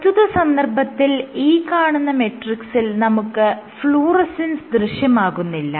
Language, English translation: Malayalam, And at this point if this is my matrix, at this point, there was no fluorescence